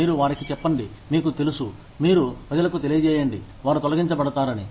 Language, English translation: Telugu, You tell them, you know, you let people know that, they are going to be laid off